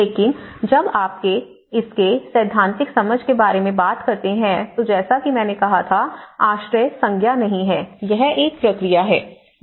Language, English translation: Hindi, But when you talk about the theoretical understanding of it, you know as I said you in the beginning transition shelter is not a noun, it is a verb, it is a process